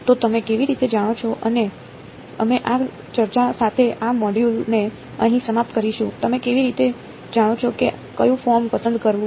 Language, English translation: Gujarati, So, how do you know and this we will end this module over here with this discussion how do you know which form to choose